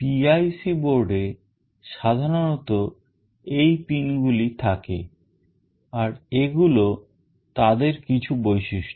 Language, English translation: Bengali, PIC board typically consists of these pins and these are some typical features